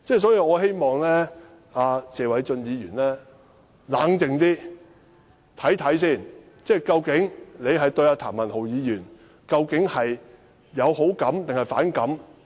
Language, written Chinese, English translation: Cantonese, 所以，我希望謝偉俊議員冷靜一點，看清楚他對譚議員究竟有好感還是反感？, Hence I hope Mr Paul TSE will first calm down and sort out whether he likes or resents Mr TAM